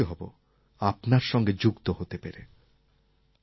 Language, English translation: Bengali, I will be happy to remain connected with you